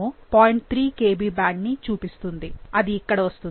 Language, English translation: Telugu, 3 Kb band, which should come here